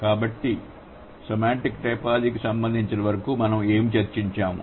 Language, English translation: Telugu, So, what we have discussed so far as for as semantic typology is concerned